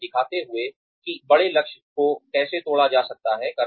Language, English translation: Hindi, Showing them, how the larger goal can be broken up